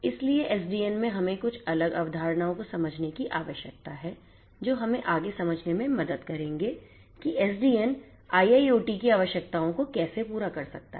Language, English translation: Hindi, So, in SDN we need to understand few different concepts which will make us to understand further how SDN can cater to the requirements of IIoT